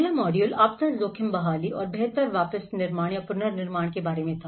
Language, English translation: Hindi, The first module was about introduction to disaster risk recovery and the build back better